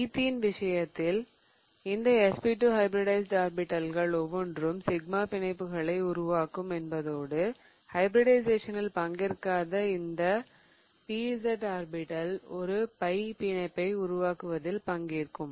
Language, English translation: Tamil, So, in the case of athene, what I have is that each of these SP2 hybridized orbitals will form the sigma bonds and this pz orbital that did not take part in hybridization will take part in the formation of a pi bond